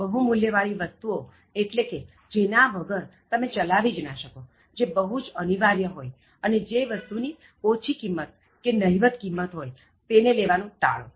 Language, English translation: Gujarati, High value things are those things, which you cannot live without, they are the most indispensable ones and avoid items which are of low value or no value